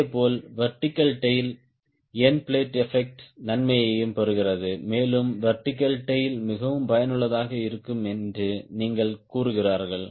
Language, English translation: Tamil, similarly, vertical tail also gets advantage of end plate effects and in turn you say vertical tail also becomes very effective